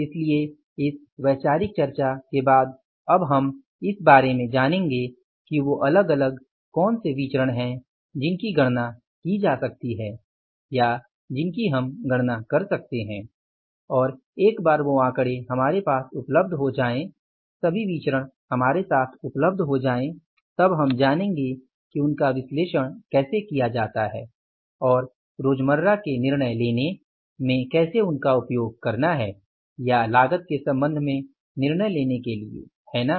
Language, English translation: Hindi, So, after this conceptual discussion now we will learn about but that what are the different variances that can be calculated or we can calculate or we can find out and then once those figures are available with us, all variances are available with us, then we will learn that how to analyze those variances and how to use those variances for the day to day decision making or maybe with regard to the say decine making with regard to the cost